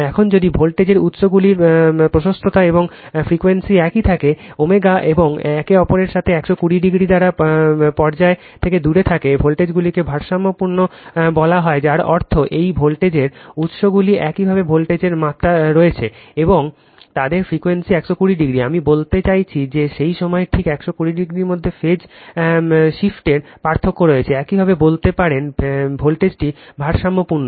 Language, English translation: Bengali, Now, if the voltage sources have the same amplitude and frequency omega and are out of phase with each other by 120 degree, the voltages are said to be balanced that means, this voltage sources have the same voltage magnitude and the frequency at they are 120 degree, I mean phase shift phase difference between there is exactly 120 degree at that time, you can tell the voltage is balanced right